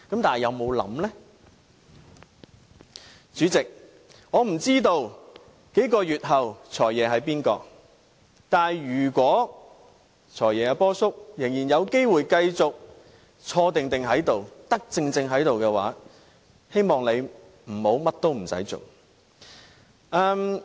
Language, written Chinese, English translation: Cantonese, 代理主席，我不知道數個月後的"財爺"會是誰，但如果"波叔"仍然有機會繼續坐定在此當"財爺"，我希望他不要甚麼事情也不做。, Has the Government considered this after all? . Deputy President I have no idea who will become the next Financial Secretary a few months later but if Uncle Paul is given the chance to remain in the office I expect him to take some actions at last